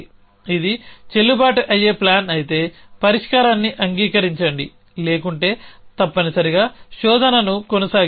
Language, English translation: Telugu, If it is a valid plan then accept the solution otherwise continues searching essentially